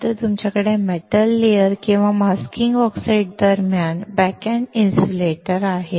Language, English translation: Marathi, Then, you have backend insulators between metal layers and masking oxides